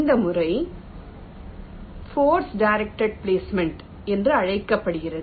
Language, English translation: Tamil, this method is called force directed placement